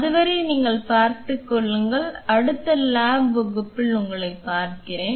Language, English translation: Tamil, Till then you take care I will see you in the lab class next lab class I am really sorry you see